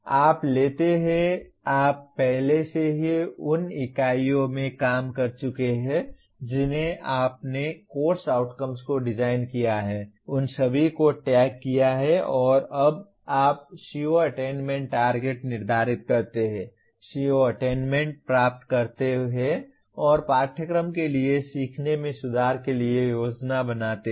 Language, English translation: Hindi, You take, you have already done in the earlier units you have designed course outcomes, tagged them all and now you set CO attainment targets, compute CO attainment and plan for improvement of learning for the course